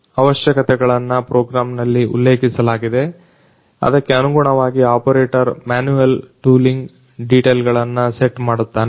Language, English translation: Kannada, The requirements are mentioned in the program; according to which the operator manually sets the tooling details